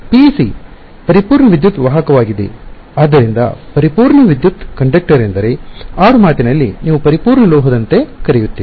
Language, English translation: Kannada, A PEC is a perfect electric conductor; so a perfect electric conductor is one which I mean colloquially you will call like a perfect metal